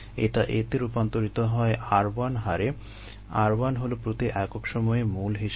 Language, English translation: Bengali, and it gets converted to b at the r two, moles per time